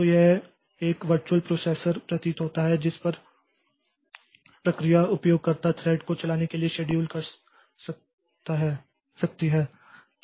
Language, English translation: Hindi, So, it appears to be a virtual processor on which process can schedule user thread to run